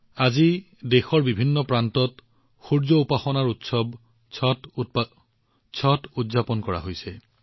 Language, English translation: Assamese, Today, 'Chhath', the great festival of sun worship is being celebrated in many parts of the country